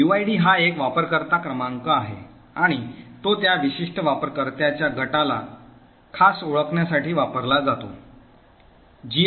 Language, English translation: Marathi, So uid is the user identifier it is a number and it is used to uniquely identify that particular user group